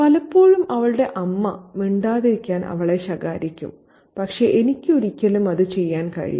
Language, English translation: Malayalam, Often her mother tries her to keep quiet but I can never do that